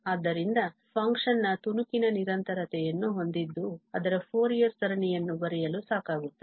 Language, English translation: Kannada, So, it is sufficient to have piecewise continuity of the function to write its Fourier series